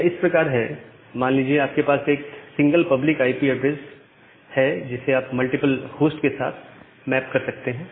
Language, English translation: Hindi, It is like that, you have a single public IP address which you can map to multiple host